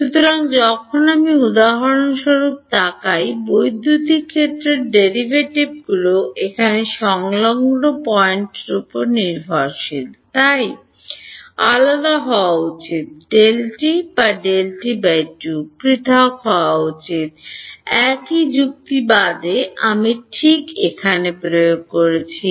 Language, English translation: Bengali, So, when I look at for example, the electric field derivative over here the adjacent point so E, should be delta t apart or delta t by 2 apart delta t apart same logic I am applying over here ok